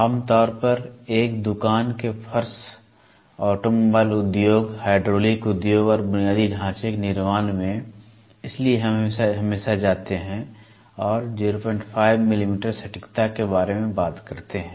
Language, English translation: Hindi, But generally in a shop floor automobile industry, hydraulic industry and infrastructure building, so we always go talk about 0